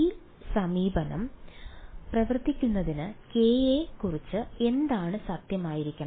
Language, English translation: Malayalam, For this approach to work what must be true about k